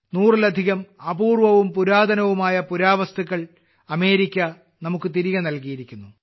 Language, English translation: Malayalam, America has returned to us more than a hundred rare and ancient artefacts